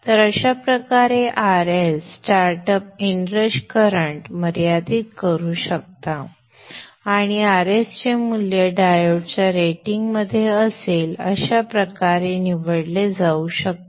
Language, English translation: Marathi, So this way this R S can limit the in rush start up inrush current and the value of the R S can be chosen such that it is within the rating of the diodes